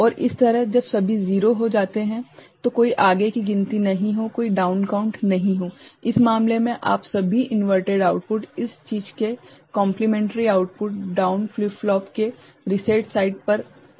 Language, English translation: Hindi, And similarly, no further down count when all 0 are reached ok, where you are putting in this case all inverted outputs, complementary outputs ok of this thing, to reset side of the down flip flop